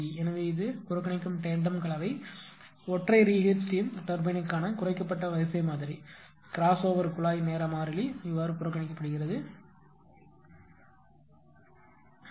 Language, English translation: Tamil, So, this is reduced order model for tandem compound single reheat steam turbine neglecting T c that crossover piping time constant is neglected, 1 this is done once this is done right